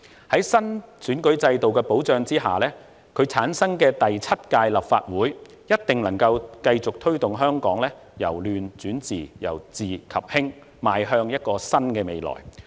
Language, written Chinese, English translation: Cantonese, 在新選舉制度保障下產生的第七屆立法會，一定能夠繼續推動香港由亂轉治、由治及興，邁向一個新的未來。, The Seventh Legislative Council to be formed under the protection of the new electoral system will surely continue to turn Hong Kong from chaos to stability and further to prosperity and to a better future